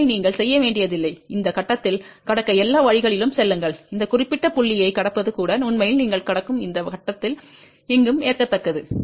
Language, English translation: Tamil, So, you do not have to go all the way to cross at this point, even crossing at this particular point is actually acceptable anywhere on this circle you cross